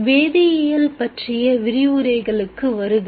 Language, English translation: Tamil, Welcome to the lectures on chemistry